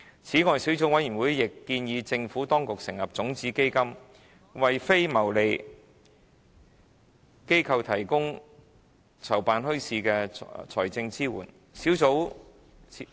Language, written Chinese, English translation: Cantonese, 此外，小組委員會亦建議政府當局成立種子基金，為非牟利機構提供籌辦墟市的財政支援。, The Subcommittee also recommends the Administration to set up a seed fund to provide financial support to non - profit making organizations in organizing bazaars